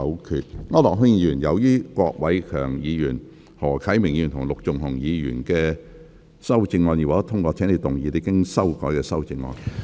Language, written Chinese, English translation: Cantonese, 區諾軒議員，由於郭偉强議員、何啟明議員及陸頌雄議員的修正案已獲得通過，請動議你經修改的修正案。, Mr AU Nok - hin as the amendments of Mr KWOK Wai - keung Mr HO Kai - ming and Mr LUK Chung - hung have been passed you may now move your revised amendment